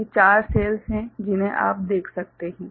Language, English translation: Hindi, So, these are the four cells that you can see